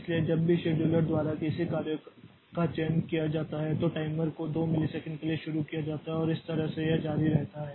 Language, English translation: Hindi, So, whenever a job is selected by the scheduler, the timer is started for 2 milliseconds and that way it continues